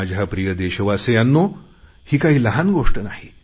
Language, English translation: Marathi, My dear fellow citizens, this is not a small matter